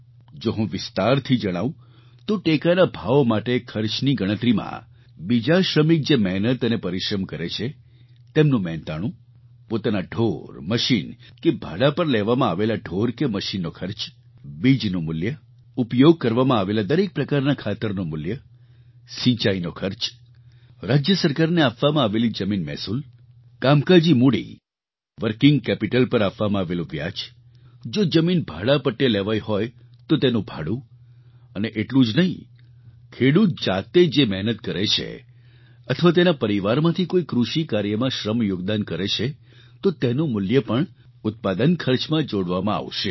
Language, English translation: Gujarati, If I may elaborate on this, MSP will include labour cost of other workers employed, expenses incurred on own animals and cost of animals and machinery taken on rent, cost of seeds, cost of each type of fertilizer used, irrigation cost, land revenue paid to the State Government, interest paid on working capital, ground rent in case of leased land and not only this but also the cost of labour of the farmer himself or any other person of his family who contributes his or her labour in agricultural work will also be added to the cost of production